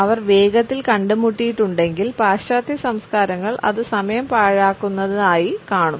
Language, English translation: Malayalam, If he has met quickly the western cultures will see it as a waste of time